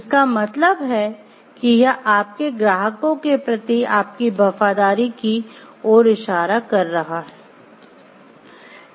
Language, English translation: Hindi, Means it is hinting towards your loyalty towards your clients